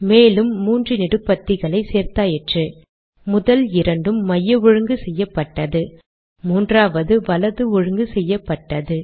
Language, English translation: Tamil, So I have added three more columns, first two of them are center aligned the third one is right aligned